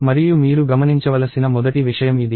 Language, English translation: Telugu, And this is the first thing that you should be observing